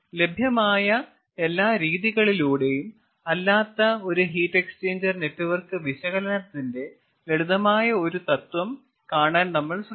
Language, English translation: Malayalam, ah, the principle of heat exchanger network analysis, that to not by all the available methods